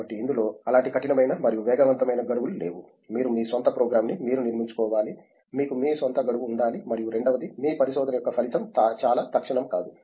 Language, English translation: Telugu, So, you would not, there is no hard and fast deadlines as such so, you have to structure you are own program, you need to have your own deadlines and secondly, the output of your research is not very immediate